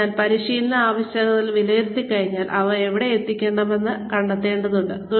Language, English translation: Malayalam, So, once we have assessed the training needs, then we need to find out, where we need to deliver them